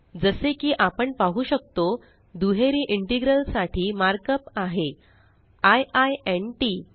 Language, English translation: Marathi, As we can see, the mark up for a double integral is i i n t